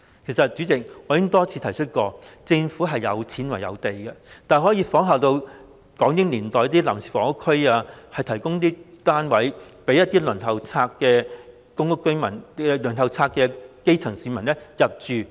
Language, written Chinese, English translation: Cantonese, 主席，其實我已多次提出，政府有錢、有土地，大可仿效港英年代設立臨時房屋區，提供單位予公屋輪候冊上的基層市民入住。, President in fact I have repeatedly called for the Government with its wealth and land on hand to build temporary housing areas to provide housing units for the grass roots on the PRH Waiting List just like what was done during the British - Hong Kong era